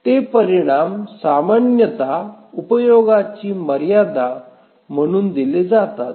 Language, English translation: Marathi, Those results are typically given as utilization bounds